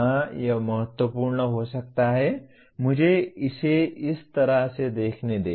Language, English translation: Hindi, Yes, it could be important, let me look at it kind of thing